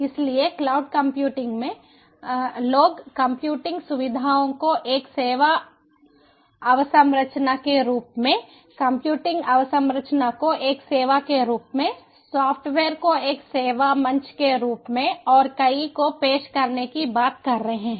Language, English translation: Hindi, so in cloud computing people are talking about offering computing facilities as a service infrastructure, computing infrastructure as a service, software as a service platform as a service, and so on